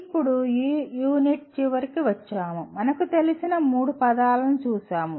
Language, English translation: Telugu, Now coming to the end of this unit, we have looked at three familiar words